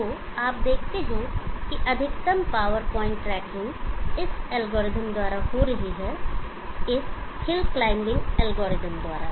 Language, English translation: Hindi, So you see that the maximum power point tracking is happening by this algorithm by this hill climbing algorithm